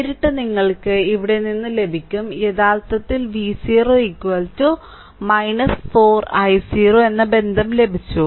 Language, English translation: Malayalam, And directly you are get a here actually here, we have got the relation V 0 is equal to minus 4 i 0